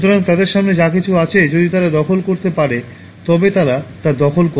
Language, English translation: Bengali, So, whatever is before them, if they can occupy, they occupy that